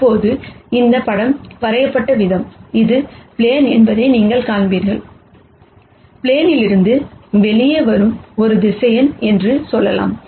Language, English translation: Tamil, Now, the way this picture is drawn, you would see that this is the plane and I have let us say, a vector that is coming out of the plane